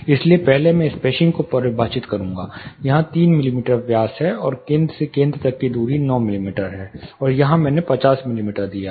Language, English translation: Hindi, So, first I will be defining here it is 3 mm dia and the spacing between center to center spacing is 9 mm, and what is backing, here I have given 50 mm